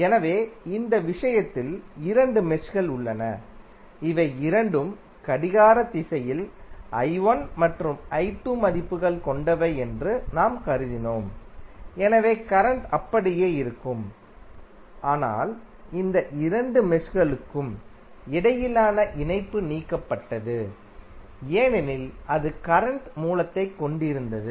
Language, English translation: Tamil, So, like in this case we have two meshes we have assumed that both are in the clockwise direction with i 1 and i 2 values, so current will remains same but the link between these two meshes have been removed because it was containing the current source